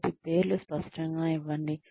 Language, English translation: Telugu, So, give names clearly